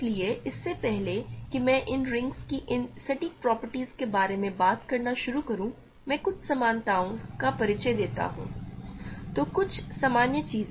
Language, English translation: Hindi, So, before I start talking about these exact properties of these rings, let me introduce some generalities so, some general stuff